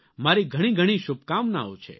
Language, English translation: Gujarati, Best wishes to you